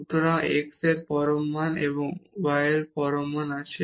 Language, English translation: Bengali, So, we have absolute value of x plus absolute value of y